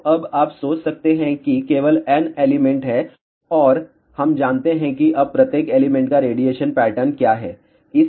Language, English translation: Hindi, So, you can now think about there are only N elements and we know what is the radiation pattern of each element now